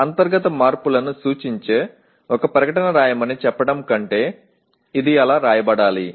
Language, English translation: Telugu, It should be written like that rather than merely say write a statement that represents internal changes